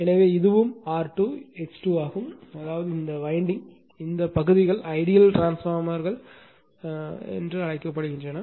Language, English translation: Tamil, So, and this is also R 2 X 2 that means, this winding as it nothing is there, there ideal transformer